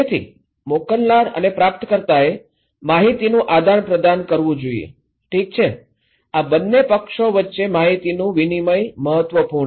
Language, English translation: Gujarati, So, sender and receiver they should exchange information, okay, exchange of information is critical between these two parties